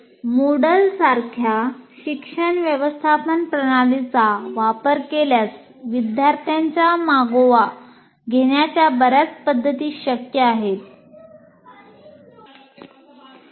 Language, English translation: Marathi, And if a learning management system like Moodle is used, many methods of tracking of students will be possible